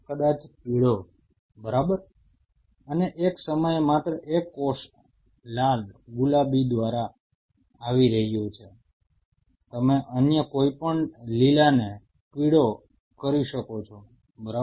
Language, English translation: Gujarati, Maybe yellow right and at a time only one cell is coming through red pink you can yellow any other green likewise right